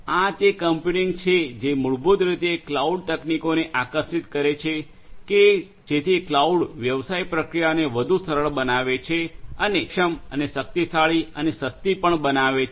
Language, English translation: Gujarati, It is this computing that you know that basically attracts the cloud technologies, so where cloud can make the business processes much more simplified and much more efficient and powerful and also cheaper